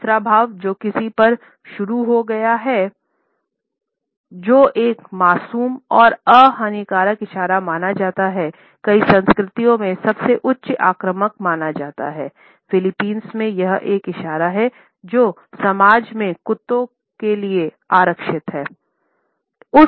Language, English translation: Hindi, The third gesture which is beginning at someone, which is considered to be an innocent and innocuous gesture, in most of the cultures is considered to be highly offensive, in Philippines, this is a gesture which is reserved for dogs in the society